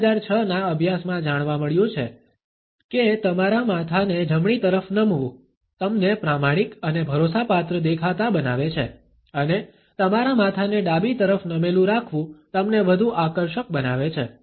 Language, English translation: Gujarati, A 2006 study found that tilting your head to the right makes you appear honest and dependable, and tilting your head to the left makes you more attractive